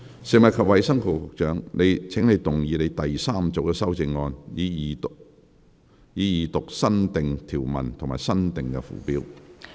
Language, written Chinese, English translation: Cantonese, 食物及衞生局局長，請動議你的第三組修正案，以二讀新訂條文及新訂附表。, Secretary for Food and Health you may move your third group of amendments to read the new clauses and new schedule the Second time